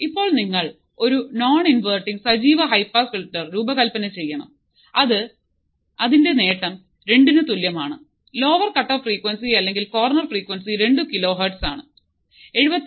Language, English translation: Malayalam, Now what you see is that you have to design; design a non inverting active high pass filter such that gain equals to 2; lower cutoff frequency or corner frequency is 2 kiloHz and capacitance of 79